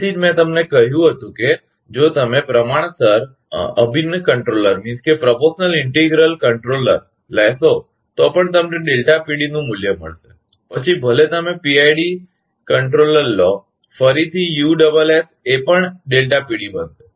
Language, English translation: Gujarati, That is why I told you, even if you take proportionally integral controller, you will get delta PD value, also even if you take PID controller; again, USS will become delta PD also